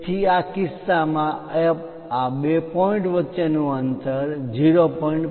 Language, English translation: Gujarati, So, the distance between these two points is 0